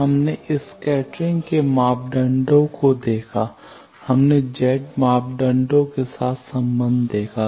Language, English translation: Hindi, We have seen scattering parameters; we have seen relationship with Z parameters